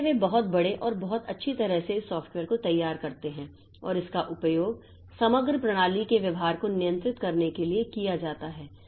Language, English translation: Hindi, So, they come up with a very big and very well architect this software that can be that and that is used for controlling the behavior of the overall system